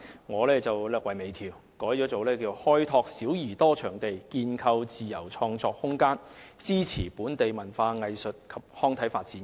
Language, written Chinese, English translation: Cantonese, 我略為微調，改為"開拓小而多場地，建構自由創作空間，支持本地文化藝術及康體發展"。, I wish to refine and amend it to Developing various small venues creating room for free creative pursuits and supporting the development of local culture arts and sports